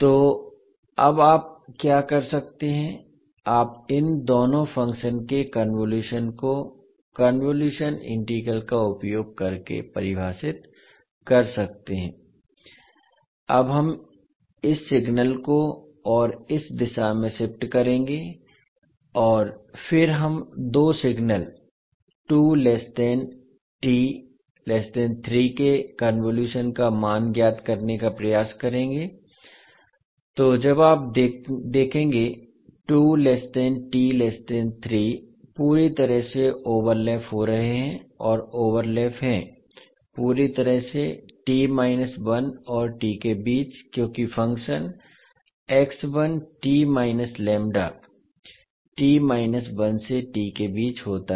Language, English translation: Hindi, So what you can do now you can fine the convolution of these two function by using convolution integral so for this particular time between one to t the integral will be between one to t and the values would be two multiplied by one because it is 2 and it is one so when you solve you will get the value of y t s two into t minus one when the t is ranging between one to two